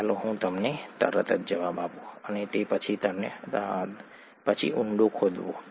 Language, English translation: Gujarati, Let me give you the answer right away, and then dig deeper